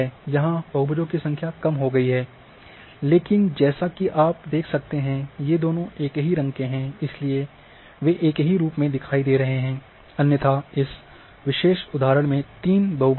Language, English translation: Hindi, So, now, it has reduced here number of polygons, but as you can see that since both are having same colour therefore, they are appearing as one, otherwise there are three polygons and in this particular example